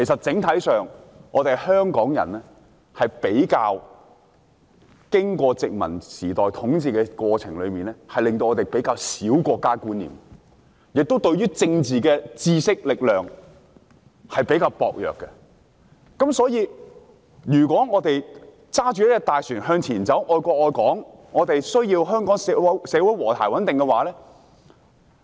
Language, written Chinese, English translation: Cantonese, 整體上，經過殖民統治後，香港人比較缺少國家觀念，政治方面的知識和力量也比較薄弱，所以，如果我們想駕這艘大船向前行駛，愛國愛港......我們需要香港社會和諧穩定。, In general after the colonial rule Hong Kong people are devoid of a sense of national identity and politically their knowledge and competence are rather insufficient . Therefore if we want to steer this ship forward the patriotic we need stability and harmony in Hong Kong society